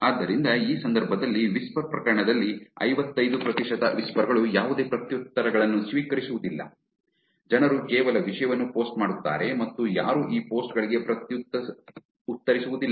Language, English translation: Kannada, So, in this case, in whisper case 55 percent of whispers receives no replies, people just post content and nobody even replies to these posts